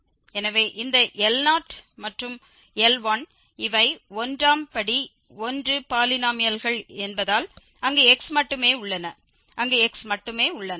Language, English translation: Tamil, So, these L 0 and L 1 are called polynomials of degree 1 because these are degree 1 polynomial, we have only x there and we have only x there